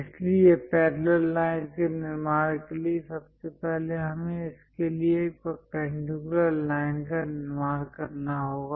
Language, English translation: Hindi, So, to construct parallel lines, first of all, we have to construct a perpendicular line to this